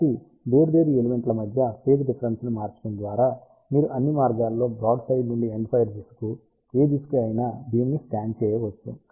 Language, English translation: Telugu, So, simply by changing the phase difference between different elements, you can scan the beam from broadside to any direction to all the way to the endfire direction